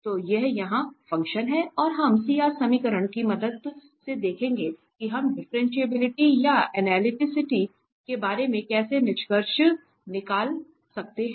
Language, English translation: Hindi, So, this is the function here and we will see with the help of CR equations, that how what we can conclude about it differentiability or analyticity